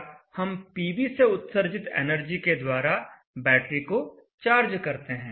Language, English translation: Hindi, So we charge the battery with the energy coming from the PV